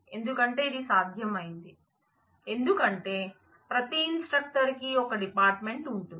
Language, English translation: Telugu, Because this was possible, because every instructor has one department